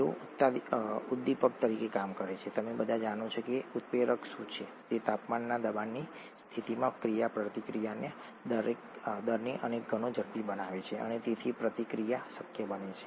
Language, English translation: Gujarati, They act as catalysts, you all know what a catalyst does, it speeds up the rate of the reaction several fold at that temperature pressure condition and thereby makes the reaction possible